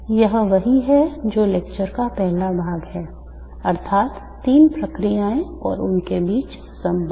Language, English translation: Hindi, This is what is the first part of the lecture namely the three processes and the relations between them